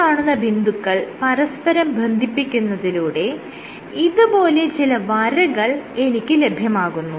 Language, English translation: Malayalam, So, by connecting these dots I will get these lines and what you find is